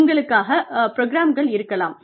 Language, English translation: Tamil, They may have, programs for you